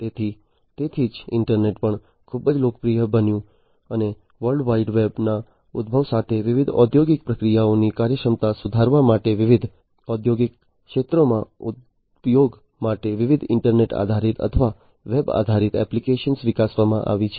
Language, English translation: Gujarati, So, that is why the internet also became very popular and also with the emergence of the World Wide Web, different, you know, internet based or web based applications have been developed for use in the different industrial sectors to improve the efficiency of the different industrial processes